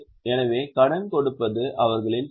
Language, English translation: Tamil, So, giving loan is their business